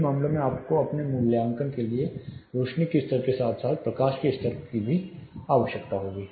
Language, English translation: Hindi, In these cases you will need both illuminance level as well as luminance level for your assessment